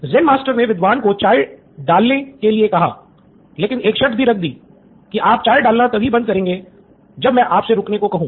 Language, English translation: Hindi, So the Zen Master asked the scholar to start pouring tea and with the only condition that you should stop pouring only when I ask you to, till then don’t stop pouring